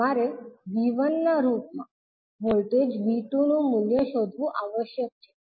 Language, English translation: Gujarati, You have to find out the value of voltage V2 in terms of V1